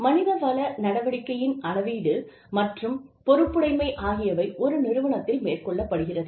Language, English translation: Tamil, Measurement of human resources activities, and the accountability, that the human resources activities, have to the organization